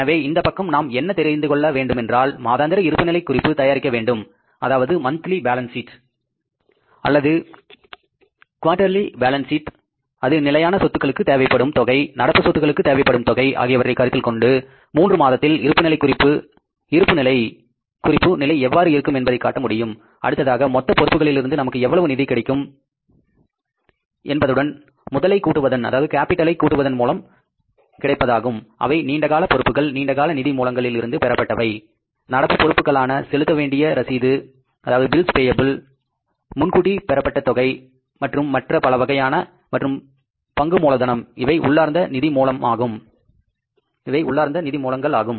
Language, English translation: Tamil, So this side we have to know in advance, prepare the monthly balance sheet or maybe the quarterly balance sheet showing it that what will be the balance sheet position at the end of three months, taking into consideration the requirement of fixed assets, requirement of current assets and then working out in advance how much funds will be available from the total liabilities plus capital that is liability is long term liabilities borrowing from the long term sources, current liabilities in terms of the bills available, advance deposits and so many other things and then the share capital which is the internal source of finance